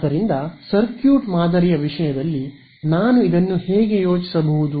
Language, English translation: Kannada, So, in terms of a circuit model, how can I think of this